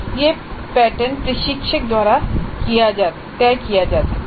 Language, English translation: Hindi, This is the pattern that is decided by the instructor